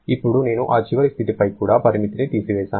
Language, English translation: Telugu, Now, I remove the restriction on this final state also